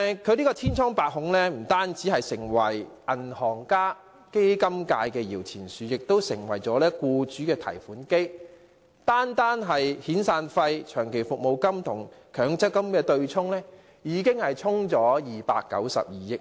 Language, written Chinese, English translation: Cantonese, 強積金千瘡百孔，不單成為銀行家及基金界的搖錢樹，亦成為僱主的提款機，單是遣散費、長期服務金與強積金的對沖，已"沖走"了292億元。, It has become not only a money - spinner for bankers and the fund industry but also an automated teller machine for employers . The offsetting of severance payments and long service payments with MPF contributions alone has washed away 29.2 billion